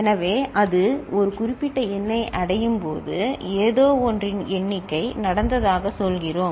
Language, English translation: Tamil, So, when it reaches a specific number, we say the count of something has taken place, ok